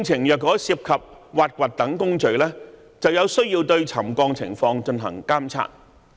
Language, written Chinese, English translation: Cantonese, 如果工程涉及挖掘等工序，便必須對沉降情況進行監察。, If the construction works involve such processes as excavation it is necessary to monitor settlement